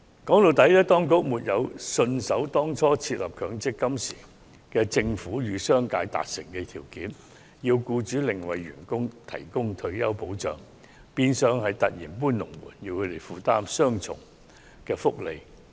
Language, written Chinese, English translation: Cantonese, 說到底，當局沒有信守當初設立強積金制度時與商界達成的協議條件，要求僱主另為僱員提供退休保障，變相是突然"搬龍門"，讓他們負擔雙重福利。, After all the Government has failed to honour the conditions in its agreement with the business for the establishment of the MPF Scheme and require employers to offer additional retirement protection for employees a sudden act of moving the goalposts in effect and employers have to bear the burden of offering double benefits